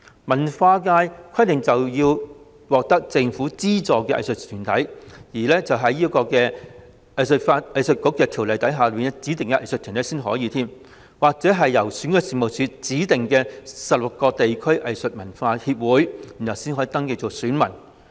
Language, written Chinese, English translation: Cantonese, 文化界則規定要是獲政府資助兼且是《香港藝術發展局條例》下指定的藝術團體，或是由選舉事務處指定的16個地區藝術文化協會才可登記成為選民。, As for the Culture subsector only those arts bodies both subsidized by the Government and designated under the Hong Kong Arts Development Council Ordinance or the 16 district arts and culture associations designated by the Registration and Electoral Office can register as electors